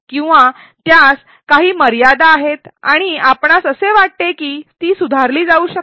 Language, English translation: Marathi, Or does it have some limitations and you think it can be improved